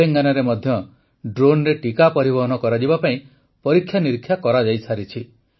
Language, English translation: Odia, Telangana has also done trials for vaccine delivery by drone